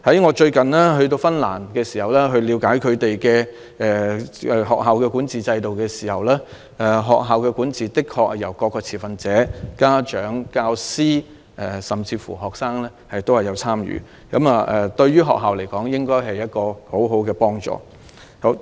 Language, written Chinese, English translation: Cantonese, 我最近到訪芬蘭了解當地的學校管治制度時亦發現，學校的管治的確是由各持份者包括家長、教師甚至學生共同參與，這對學校來說應該是很好的幫助。, I recently visited Finland to understand more about their school governance systems and I found that all stakeholders including parents teachers and even students participated in the school governance systems which should be very helpful to the schools